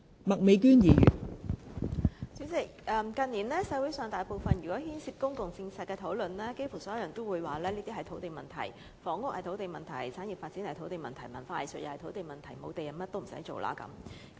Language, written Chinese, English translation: Cantonese, 代理主席，近年社會上每有牽涉公共政策的討論，差不多所有人也會說是土地問題：房屋是土地問題，產業發展是土地問題，文化藝術是土地問題，沒有土地便甚麼也不用做了。, Deputy President in recent years whenever there was any discussion related to public policy almost everyone would say that it was a matter of land it was a matter of land for the housing policy a matter of land for industrial development and a matter of land for the development of culture and arts . Without land we can do nothing